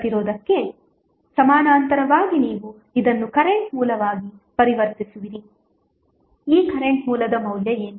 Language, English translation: Kannada, You will convert this into current source in parallel with resistance what would be the value of this current source